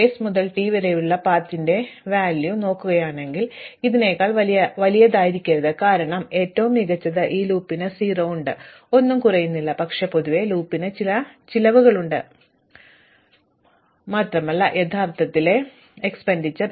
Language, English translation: Malayalam, And if I look at the cost of direct path from s to t, it cannot be any bigger than this one, because at best this loop has 0 and decrease nothing but, in the general case the loop has some positive cost and actually reduce the cost